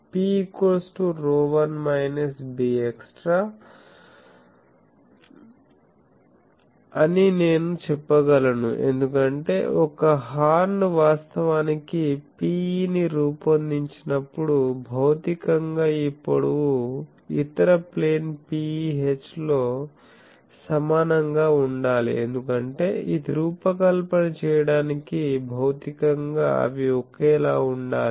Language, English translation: Telugu, So, I can say that rho 1 minus b extra will be P e, because I will have to see that when a horn actually is fabricated the P the physical this length should be equal to in the other plane EH, because that is the constraint for designing a horn that physically they should be same